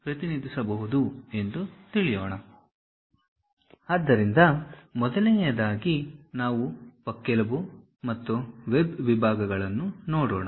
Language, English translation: Kannada, So, the first thing, let us look at rib and web sections